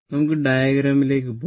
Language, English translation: Malayalam, Let us go to the diagram